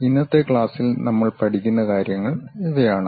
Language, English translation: Malayalam, These are the things what we will learn in today's class